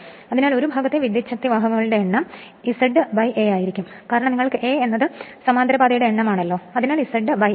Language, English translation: Malayalam, And so number of conductors in one part will be Z upon A right because a you have A number of parallel path so Z upon A